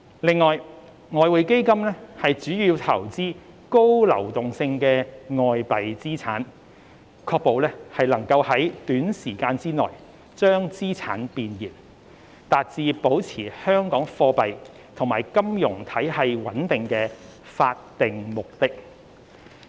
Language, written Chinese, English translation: Cantonese, 另外，外匯基金主要投資高流動性的外幣資產，確保能在短時間內將資產變現，達至保持香港貨幣及金融體系穩定的法定目的。, Separately the Exchange Fund primarily invests in highly liquid foreign currency assets to ensure that it can readily liquidate assets for achieving its statutory objective of maintaining Hong Kongs monetary and financial stability